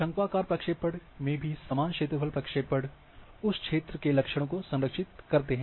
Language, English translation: Hindi, Now in conical projections also equal area projections preserve the property of the area